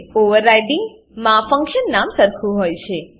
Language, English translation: Gujarati, In overriding the function name is same